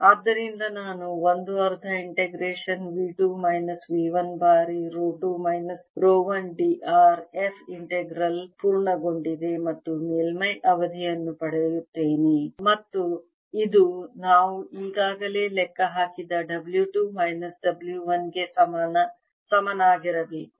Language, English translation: Kannada, so i'll get a one half integration v two minus v one times rho two minus rho one d r f integral has been completed plus a surface term and this must equal w two minus w one